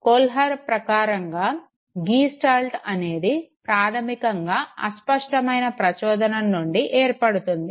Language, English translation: Telugu, According to Kohler, Gestalt would be basically formed from ambiguous stimuli